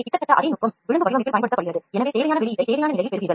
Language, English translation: Tamil, So, almost the same technique is used in contour crafting, so you get the required output in the required state